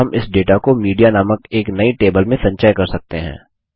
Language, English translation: Hindi, And we can store this data in a new table called Media